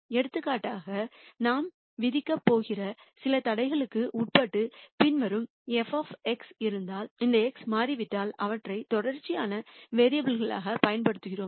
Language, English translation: Tamil, For example, if we have the following f of X subject to some constraints that we are going to impose and if it turns out that this X we use them as continuous variables